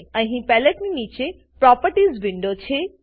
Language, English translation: Gujarati, Down here below the palette is the Properties window